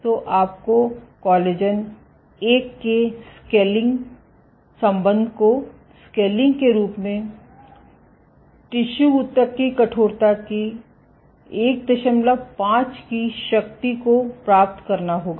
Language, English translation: Hindi, So, you would get a scaling relationship of collagen 1 scaling as bulk tissue stiffness to the power 1